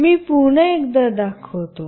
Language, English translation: Marathi, I will show once more